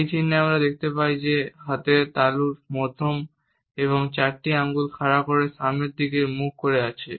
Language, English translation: Bengali, In this sign we find that palm of the hand faces forward with the middle and four fingers held erect